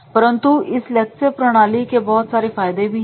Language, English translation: Hindi, But this lecture method is having the several disadvantages